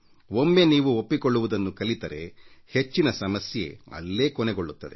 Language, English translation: Kannada, Once you learn to accept, maximum number of problems will be solved there and then